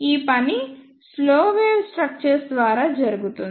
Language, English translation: Telugu, This job is done by slow wave structures